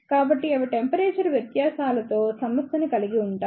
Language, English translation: Telugu, So, they do not suffer with the temperature variations